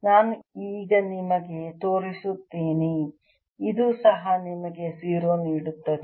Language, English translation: Kannada, i'll show you now that this also gives you zero